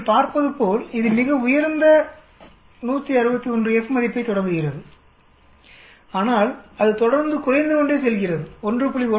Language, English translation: Tamil, As you can see it starts quite high 161 F value but it keep going down, down to a lot 1